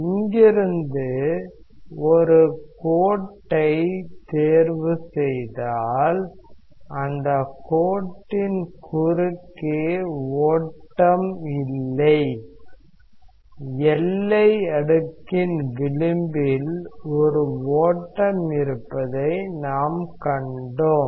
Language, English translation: Tamil, We want to choose a line from here C such that there is no flow across that line; we have seen there is a flow across the edge of the boundary layer